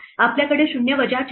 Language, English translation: Marathi, We have 0 minus four